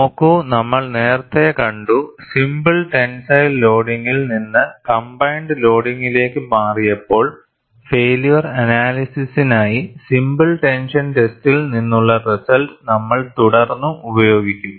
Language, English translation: Malayalam, See, we have seen earlier, when we moved from simple tensile loading to combined loading for failure analysis, we will still use the result from a simple tension test, and used it for combined loading in our conventional design approaches